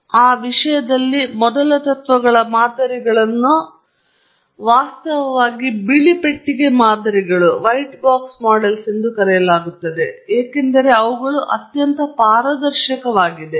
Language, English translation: Kannada, So, in that respect, the first principles models are actually called white box models because they are very transparent